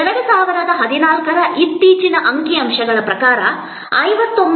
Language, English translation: Kannada, According to the latest statistics in 2014, 59